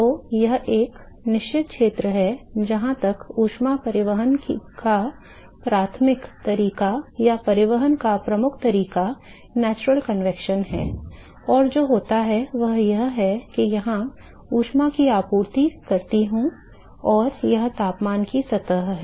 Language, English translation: Hindi, So, there is a certain region till which point the mode of, primary mode of heat transport or the dominant mode of the transport is the natural convection, and what happens is supposing I supply heat here and this is the temperature surface